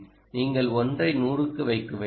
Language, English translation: Tamil, do you have to put a one is to hundred